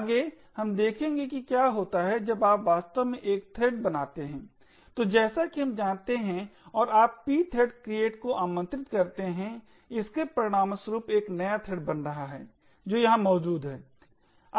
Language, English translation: Hindi, Next, we will see what happens when you actually create a thread, so as we know and you invoke the pthread create it results in a new thread getting created which is present here